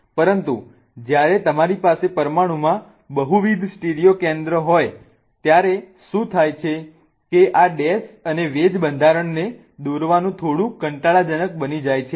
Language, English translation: Gujarati, But when you have multiple stereo centers in the molecule, what happens is drawing these dash and wedge structures become a little tedious